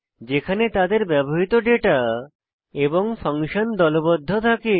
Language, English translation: Bengali, In which the data and the function using them is grouped